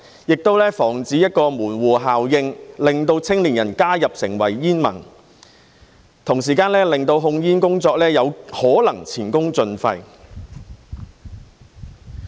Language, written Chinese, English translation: Cantonese, 亦防止門戶效應令青年人加入成為煙民，同時令控煙工作有可能前功盡廢。, It will also prevent any gateway effect which may turn young people into smokers and waste the efforts in tobacco control